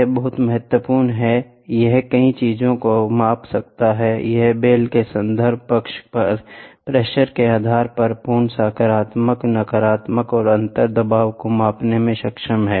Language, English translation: Hindi, This is very very important, it can measure multiple things, it is capable of measuring absolute, positive, negative and differential pressure depending on the pressure on the reference side of the bell